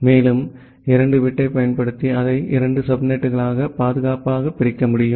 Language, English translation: Tamil, And using 2 bit, I can safely divide it into two subnets